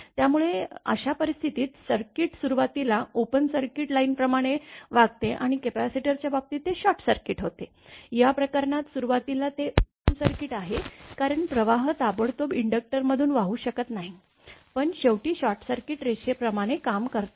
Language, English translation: Marathi, So, in that case the circuit behaves like an open circuit line initially right and in the case of capacitor it was short circuit, in this case it is initially open circuit since a current cannot flow through the inductor instantaneously this we know, but finally, acts like a short circuited line